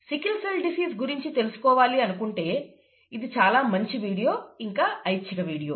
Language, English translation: Telugu, This is an optional video to know about sickle cell disease, nice video, but it is an optional video